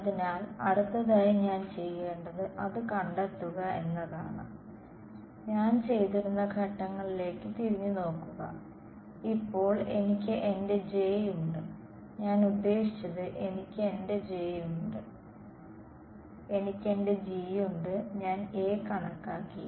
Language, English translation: Malayalam, So, the next think that I have to do is find out so, look back over here at the steps I had do I have my J now; I mean I had my J, I had my G, I calculated A